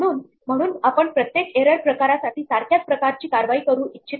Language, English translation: Marathi, So, we may not want to take the same type of action for every error type